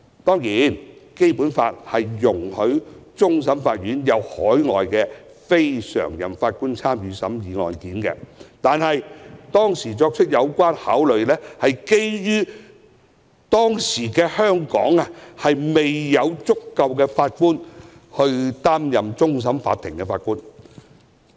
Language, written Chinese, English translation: Cantonese, 當然，《基本法》容許海外非常任法官參與審議終審法院的案件，但當時的考慮是當時香港未有足夠法官擔任終審法院的法官。, Of course the Basic Law permits the engagement of overseas non - permanent Judges in hearing CFA cases but at the time the consideration was that there were insufficient Judges in Hong Kong to assume the posts of CFA Judges